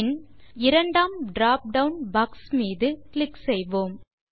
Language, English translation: Tamil, Then we will click on the second dropdown box and then click on the Book Title